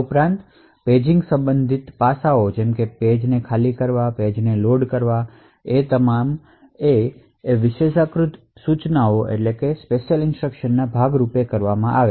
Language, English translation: Gujarati, Also the paging related aspects such as eviction of a page, loading of a page all done as part of the privileged instructions